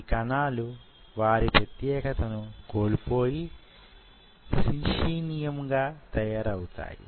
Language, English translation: Telugu, These cells slowly lose their identity and they become what we call as synchium